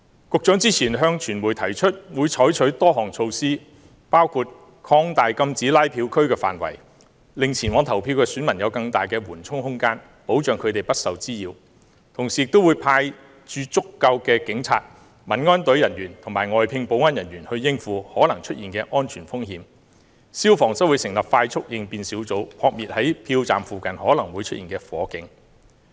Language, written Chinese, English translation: Cantonese, 局長之前向傳媒提出會採取多項措施，包括擴大禁止拉票區的範圍，令前往投票的選民有更大緩衝空間，保障他們不受滋擾；同時亦會派駐足夠的警察、民安隊人員和外聘保安人員應付可能出現的安全風險；消防則會成立快速應變小組，撲滅在票站附近可能會出現的火警。, In his meet - up with the media earlier the Secretary said that a number measures would be adopted including enlarging the no - canvassing zone to offer greater buffer for voters entering the stations and protect them from disturbances; also arranging sufficient numbers of police officers Civil Aid Service members and security contractors to cope with possible safety risks; and forming quick response teams under the Fire Services Department to put out any fire near polling stations